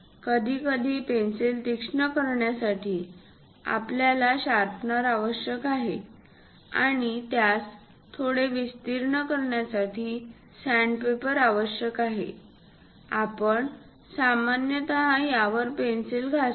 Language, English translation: Marathi, To sharpen the pencil sometimes, we require sand paper and also to make it bit wider kind of lines on this sand paper, we usually rub this pencil